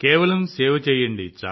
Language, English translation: Telugu, Just keep serving